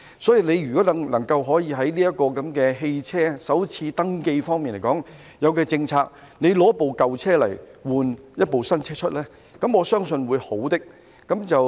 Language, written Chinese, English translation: Cantonese, 如果局長能就汽車首次登記提出政策，以舊車更換一部新車，我相信是一件好事。, If the Secretary can propose a policy on the first registration of vehicles I believe it will be a good thing to replace an old one with a new one